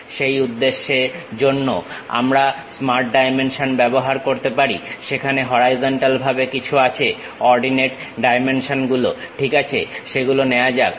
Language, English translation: Bengali, For that purpose also, we can use smart dimension there is something like horizontally ok Ordinate Dimensions let us pick that